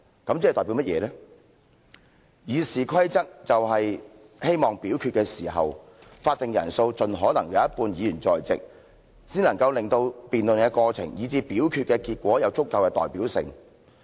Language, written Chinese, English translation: Cantonese, 《議事規則》中法定人數的要求，是希望在表決的時候，盡可能有一半的議員在席，令到辯論的過程，以至表決的結果有足夠的代表性。, The quorum requirement in RoP aims to ensure as far as possible the presence of half of all Members at the time of voting and sufficient representativeness of debates and voting results